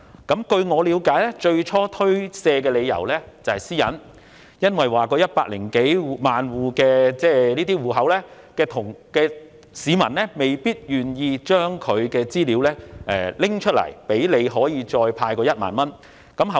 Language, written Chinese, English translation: Cantonese, 據我了解，他最初推卻的理由是個人私隱問題，因為這些領取綜援人士及長者未必願意將資料交給政府作為派發1萬元的用途。, According to my understanding the initial excuse had something to do with personal privacy as those CSSA recipients and the elderly people may not be willing to hand over their personal data to the Government for the purpose of distributing to them the 10,000